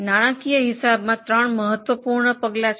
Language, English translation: Gujarati, There are three important steps in financial accounting